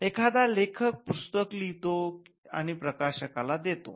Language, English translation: Marathi, So, an author writes a book and assign it to the publisher